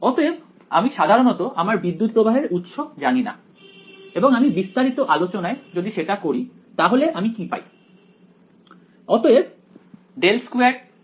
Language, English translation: Bengali, So, typically I do not know the current source and I do want to get into your details how the current is flowing in some antenna somewhere right